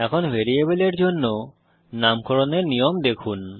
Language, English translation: Bengali, Now let us see the naming rules for variables